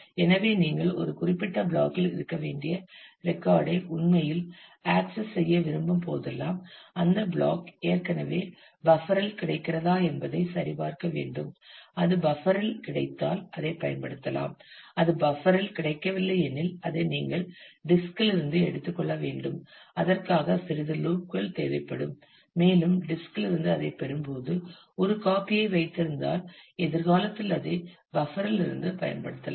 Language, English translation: Tamil, So, whenever you want to actually access a record which should be in a particular block; you check whether that block is already available in the buffer; if it is available in the buffer it use that if it is not available in the buffer, then you take it from the disk you will need quite a bit of cycles for that and as you get that from the disk then you keep a copy in the buffer so that it can be used in future